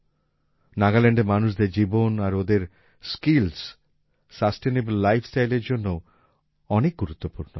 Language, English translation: Bengali, The life of the people of Nagaland and their skills are also very important for a sustainable life style